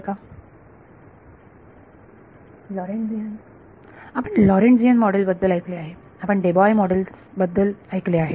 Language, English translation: Marathi, Lorentzian You have heard of Lorentzian models, you heard of Debye models